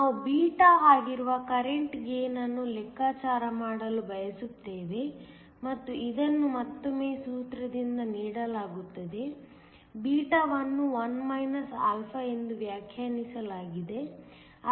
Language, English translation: Kannada, We also want to calculate the current gain that is beta and this is again given by a formula, beta is defined as 1 α